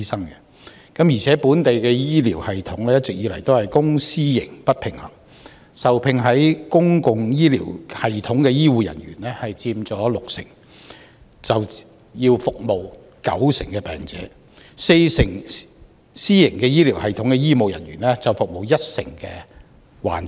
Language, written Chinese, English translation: Cantonese, 另一方面，本地公私營醫療系統一直不平衡，受聘於公營醫療系統的醫護人員佔六成，但要服務九成患者，受聘於私營醫療系統的四成醫護人員，則服務一成患者。, On the other hand there has been an imbalance in the local public and private medical systems; 60 % of the health care workers employed in the public medical system are serving 90 % of the patients while 40 % of the health care workers employed in the private medical system are serving 10 % of the patients